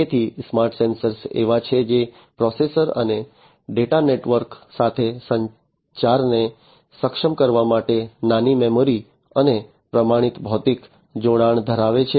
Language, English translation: Gujarati, So, smart sensors are the ones which have some small memory and standardized physical connection to enable communication with the processor and data network